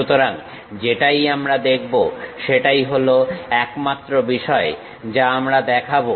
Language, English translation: Bengali, So, whatever we see that is the only thing what we show it